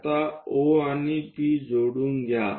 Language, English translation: Marathi, Now, join O and P